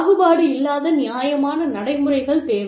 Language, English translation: Tamil, Fair procedures are required